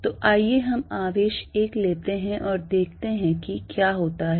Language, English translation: Hindi, So, let us take the charge 1 and see what happens